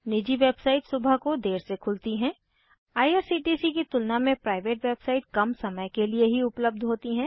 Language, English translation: Hindi, Private website open late in the morning, Only a shorter time interval is available on Private website than irctc was open in 8 am private website open at 10 am